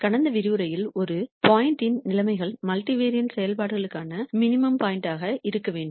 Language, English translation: Tamil, In the last lecture we saw the conditions for a point to be an optimum point a minimum point for multivariate functions